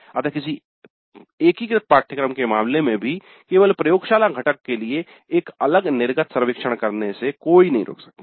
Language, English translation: Hindi, So it may be desirable even if the course is integrated course to have a separate exit survey only for the laboratory component